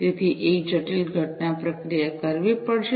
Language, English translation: Gujarati, So, a complex event processing will have to be performed